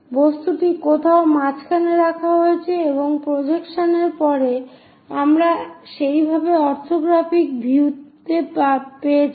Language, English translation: Bengali, The object somewhere kept at middle and after projections we got something like orthographic views in that way